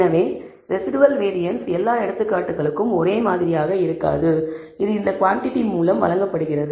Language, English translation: Tamil, So, the variance of the residual will not be identical for all examples, it is given by this quantity